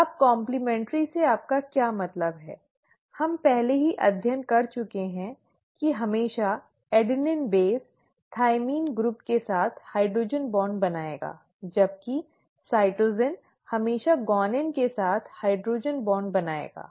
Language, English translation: Hindi, Now what do you mean by complimentary, we have already studied that always the adenine base will form a hydrogen bond with the thymine group while the cytosines will always form hydrogen bonds with the guanine